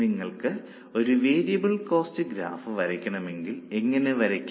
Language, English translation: Malayalam, Now, if you want to draw a variable cost graph, how will you draw it